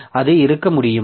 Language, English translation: Tamil, So, can it be there